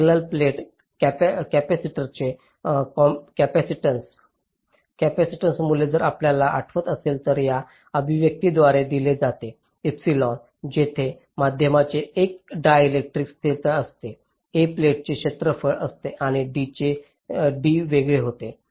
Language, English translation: Marathi, so the capacitance value of a parallel plate capacitor, if you recall, is given by this expression, where epsilon is a ah dielectric constant of the medium, a is the area of the plates and d is the separation